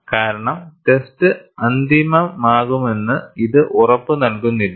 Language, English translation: Malayalam, Because, it does not guarantee that the test would be final